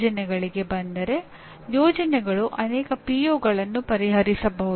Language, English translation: Kannada, Coming to the projects, projects can potentially address many POs